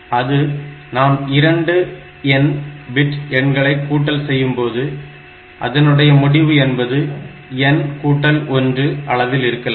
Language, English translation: Tamil, But, you must understand one thing that if we are adding two n bit numbers then the result can be of n plus 1 bit not more than that